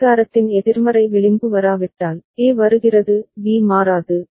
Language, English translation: Tamil, And unless the negative edge of clock comes, so A comes B will not change